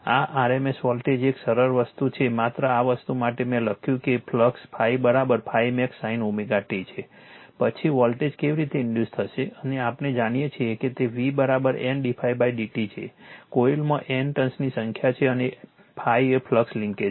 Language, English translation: Gujarati, This is the RMS voltage a simple thing just for this thing I have written the phi is equal to flux is phi is equal to phi max sin omega t then, how the voltage will be induced and we know v is equal to, N d phi by d t in coil you have N number of tones and phi is the flux linkage